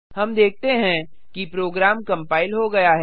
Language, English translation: Hindi, Let us now compile the program